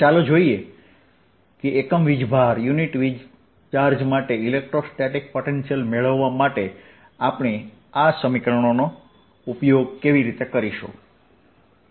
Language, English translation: Gujarati, let us see how do we use these equations to get electrostatic potential for a unit charge